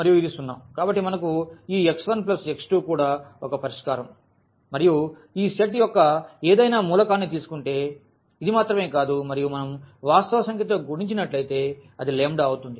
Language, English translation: Telugu, So, we have this x 1 plus x 2 is also a solution and not only this if we take any element of this set and if we multiply by a real number, so, let us say lambda